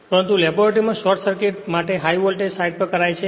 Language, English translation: Gujarati, But short circuit test in the laboratory performed on the high voltage side